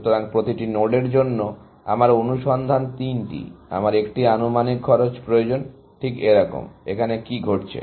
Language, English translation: Bengali, So, for every node, my search three, I need an estimated cost, exactly like, what is happening here